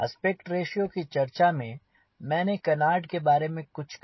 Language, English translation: Hindi, since we are talking aspect ratio, i thought we talked about canard little bit